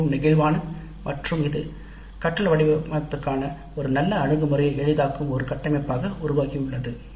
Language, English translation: Tamil, It's quite flexible and it has evolved into a framework that facilitates a very good approach to designing the learning